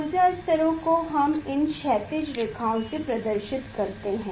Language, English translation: Hindi, that energy levels also we can draw with this horizontal lines